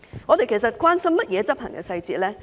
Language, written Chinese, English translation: Cantonese, 我們其實關心甚麼執行細節呢？, Actually what are the implementation details that we are actually concerned about?